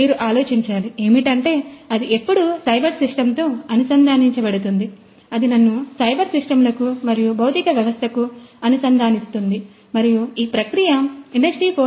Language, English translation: Telugu, You have to think when it is connect connected with you know the cyber system then that would connect me to cyber systems and the physical system, and that essentially is very good for Industry 4